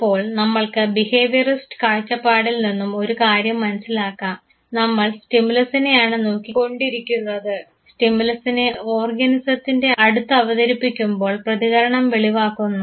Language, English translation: Malayalam, Now, let us understand one thing from a behaviorist point of view, we would be looking at the stimulus and the response that is elicited once that stimulus is presented to the organism